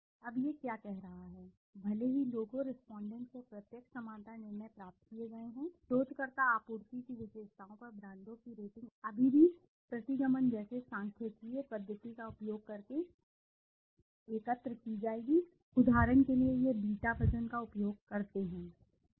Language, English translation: Hindi, Now what is it saying, even if direct similarity judgements are obtained from the people, respondents, ratings of the brands on researcher supplied attributes will still be collected using statistical method such as regression, so this is by using the beta weight for example in the regression, you use the beta weight